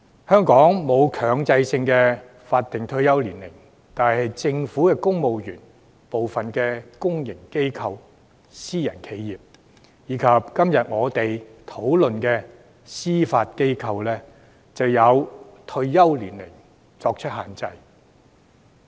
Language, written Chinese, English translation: Cantonese, 香港沒有強制法定退休年齡，但政府公務員、部分公營機構、私人企業，以及今天我們辯論涉及的司法機構，均有退休年齡限制。, There is no mandatory statutory retirement age in Hong Kong . However there is an age limit for retirement in the civil service some public organizations private enterprises and the Judiciary under discussion today